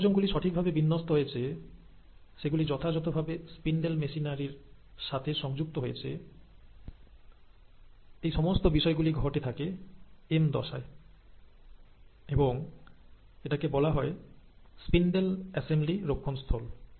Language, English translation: Bengali, So, that checkpoint that the chromosomes are appropriately aligned, they are appropriately connected to the spindle machinery, happens at the M phase and it is called as the spindle assembly checkpoint